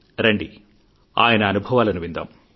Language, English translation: Telugu, let's listen to his experiences